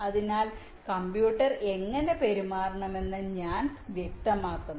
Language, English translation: Malayalam, so i specify how the computer should behave now, the from